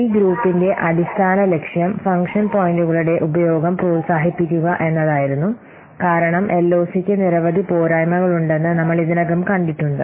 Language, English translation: Malayalam, So the basic purpose of this group was to promote and encourage use of function points because we have already seen LOC has several drawbacks